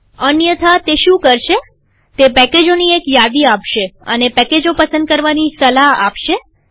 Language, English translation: Gujarati, Otherwise what it will do is, it will give a list of packages and it will recommend the packages to be checked